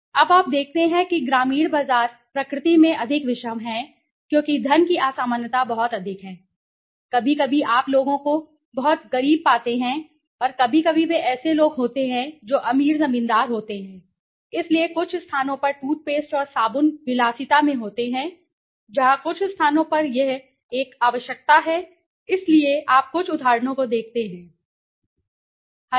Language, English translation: Hindi, Now, you see the rural market is more heterogeneous in nature now why because the disparity of wealth is quite high sometimes you find people very poor, and sometimes they are people who are rich landlords okay, so in some places toothpaste and soap are luxuries where in some places it is a necessity right, so you look at the some of the example, these some of the examples